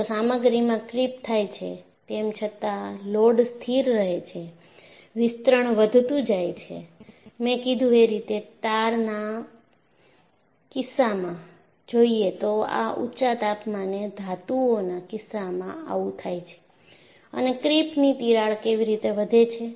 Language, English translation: Gujarati, If the material creeps, even though the load remains constant, the extension will continue to increase; that is what I mentioned that, you come across in the case of a tar, this happens in the case of metals at high temperatures and how does a creep crack growths